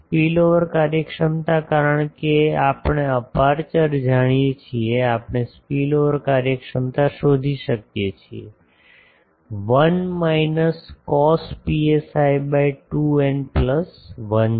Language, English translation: Gujarati, Spillover efficiency, since we know the aperture we can find spillover efficiency; 1 minus cos psi by 2 n plus 1